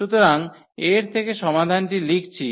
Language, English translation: Bengali, So, writing the solution out of this